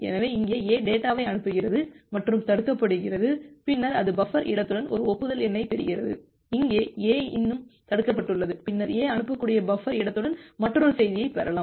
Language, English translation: Tamil, So, here in this case, A A sends the data and gets blocked and then it gets an acknowledgement number with buffer space 0, here A is still blocked, then A A can send get get another message with the available buffer space